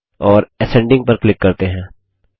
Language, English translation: Hindi, And let us click on Ascending